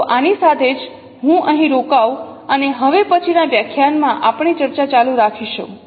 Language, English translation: Gujarati, So with this, let me stop here and we will continue our discussion in the next lecture